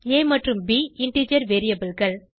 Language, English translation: Tamil, a and b are the integer variables